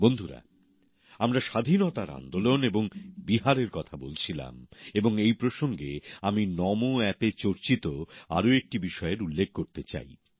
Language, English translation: Bengali, as we refer to the Freedom Movement and Bihar, I would like to touch upon another comment made on Namo App